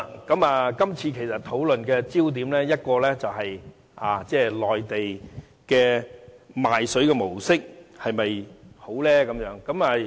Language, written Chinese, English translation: Cantonese, 今次討論的焦點，其一是內地賣水的模式是否很好？, One of the foci of this discussion is whether the approach adopted by the Mainland authorities in selling water is appropriate